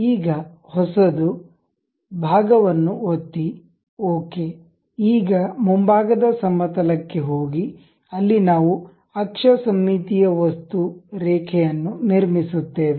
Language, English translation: Kannada, Now, a new one, click part ok, now go to front plane, now we will construct a axis symmetric object, line